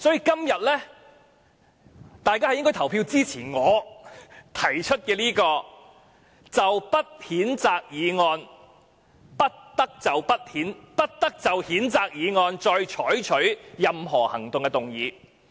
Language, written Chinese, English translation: Cantonese, 因此，大家今天應投票支持我提出的"不得就謝偉俊議員動議的譴責議案再採取任何行動"的議案。, Hence today Members should vote for the motion proposed by me that is no further action shall be taken on the censure motion moved by Mr Paul TSE